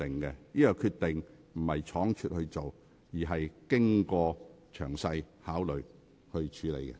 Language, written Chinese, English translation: Cantonese, 我的決定並非倉卒作出，而是經過深思熟慮。, My decisions were not made rashly but were made after careful consideration